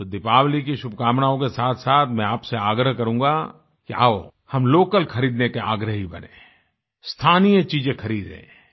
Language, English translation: Hindi, Hence along with the best of wishes on Deepawali, I would urge you to come forward and become a patron of local things and buy local